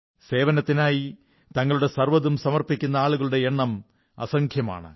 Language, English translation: Malayalam, There are innumerable people who are willing to give their all in the service of others